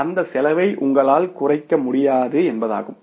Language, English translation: Tamil, So, it means you cannot minimize that cost